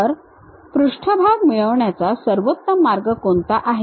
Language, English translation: Marathi, What is the best way one can really have that surface